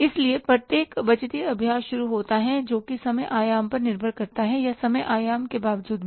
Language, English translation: Hindi, So, every budgetary exercise starts with depending upon the time horizon or irrespective of the time horizon